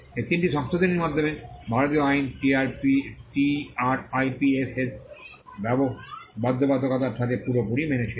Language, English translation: Bengali, These three sets of amendment brought the Indian law in complete compliance with the TRIPS obligations